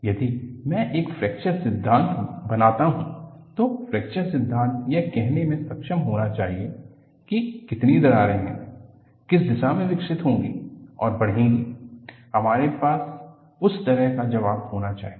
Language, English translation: Hindi, If I develop a fracture theory, the fracture theory should be able to say how many cracks are there, in which direction it should develop and grow, we should have that kind of an answer